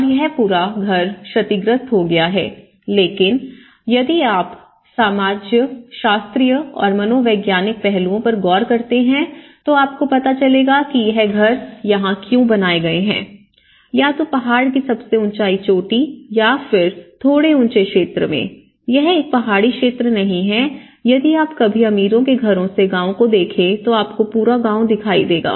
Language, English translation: Hindi, And this whole house has been damaged but then if you look at the sociological and psychological aspects why these houses are located here, on the top of the ridge or the top of a in a slightly higher area, itís not a mountain area but slightly but if you ever looked from the rich houses villages, you will see the whole entire village